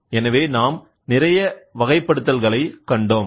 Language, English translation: Tamil, So, we have seen lot of classification